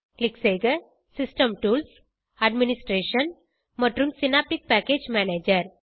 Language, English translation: Tamil, Click on System tools, Administration and Synaptic Package Manager